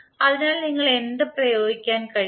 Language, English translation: Malayalam, So what you can apply